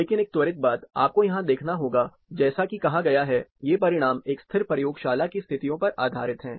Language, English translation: Hindi, But one quick thing, you have to observe here, is, as stated, these are results based on standard, static laboratory conditions